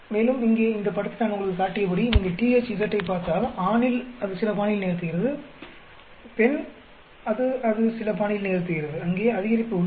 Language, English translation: Tamil, And as I showed you here in this picture, so if you look at THZ, male it performs in certain fashion, female it performs there is an increase